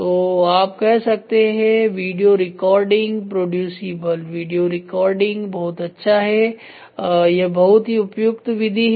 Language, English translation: Hindi, So, you can say video recording producible method description it is good it is very well suited